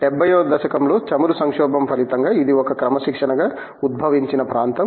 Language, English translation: Telugu, Is an area that has emerged as a discipline, consequent to the oil crisis in the 70's